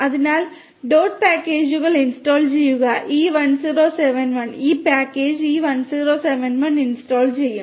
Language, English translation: Malayalam, So, then install dot packages e1071 will install this package e1071 right